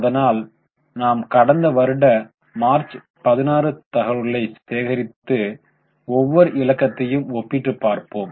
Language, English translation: Tamil, So, we collect the data of last year, that is March 16 and each of the figures will compare with earlier year